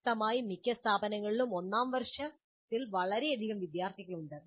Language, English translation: Malayalam, And obviously most of the institutes have a very large number of students in the first year